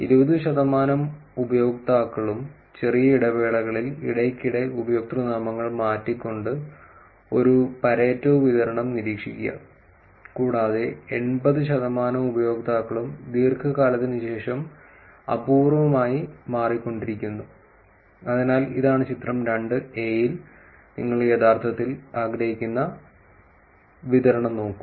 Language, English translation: Malayalam, Observe a Pareto distribution with 20 percent of the users frequently changing usernames in short intervals, and 80 percent of the users changing rarely after long duration So, this is why this is in figure 2 that is the distribution that you want to actually look at